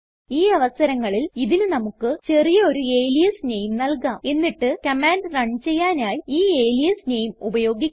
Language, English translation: Malayalam, In this case we can give it a short alias name and use the alias name instead ,to invoke it